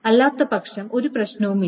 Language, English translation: Malayalam, Otherwise, is no problem